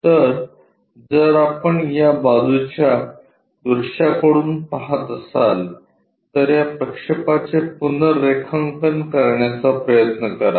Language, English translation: Marathi, So, if we are looking from this side view try to look at redraw these projections